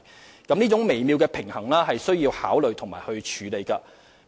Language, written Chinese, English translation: Cantonese, 要達致這種微妙平衡，我們需加以考慮和處理。, This is what we need to consider and address in order to achieve a subtle balance